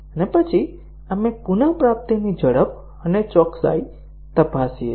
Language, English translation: Gujarati, And then, we check the speed and accuracy of retrieval